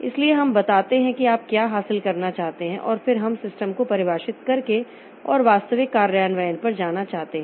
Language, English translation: Hindi, So, we tell what we want to achieve and then we want to go step by step refining the system and going to the actual implementation